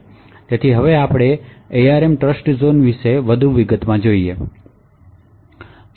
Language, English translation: Gujarati, So now we go into a big more detail about the ARM Trustzone